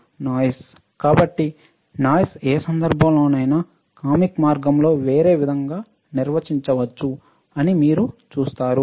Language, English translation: Telugu, So, you see and noise in any case can be defined in a in a different way in a in a comic way as well, but when we talk about electronics